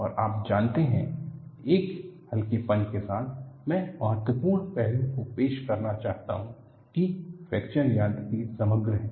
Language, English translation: Hindi, And you know, in a lighter vein, I would like to introduce the important aspect that fracture mechanics is holistic